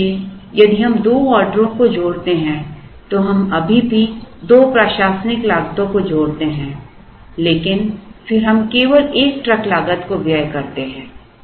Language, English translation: Hindi, So, if we combine two orders we still incur two administrative costs but then we incur only one truck cost